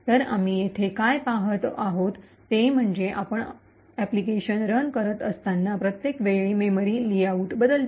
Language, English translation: Marathi, So, what we see over here is that the memory layout changes every time you run the application